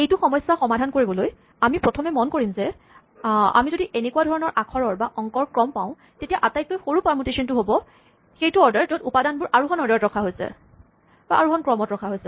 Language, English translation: Assamese, In order to solve this problem the first observation we can make is that, if we have a sequence of such letters or digits the smallest permutation is the order in which the elements are arranged in ascending order